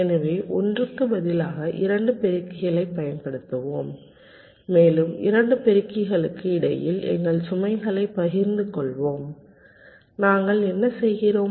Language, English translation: Tamil, so let us use two multipliers instead of one, ok, and let us share our load between the two multipliers and what we are doing